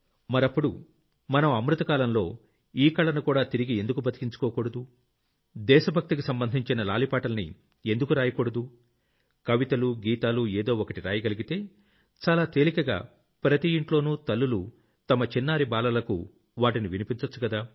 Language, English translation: Telugu, So why don't we, in the Amritkaal period, revive this art also and write lullabies pertaining to patriotism, write poems, songs, something or the other which can be easily recited by mothers in every home to their little children